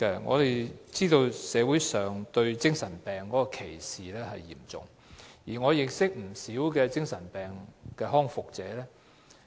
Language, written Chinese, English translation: Cantonese, 我們知道社會上對精神病患者的歧視嚴重，而我也認識不少精神病康復者。, We are aware that there is serious discrimination against psychiatric patients in society and I am acquainted with some psychiatric patients who are in the process of rehabilitation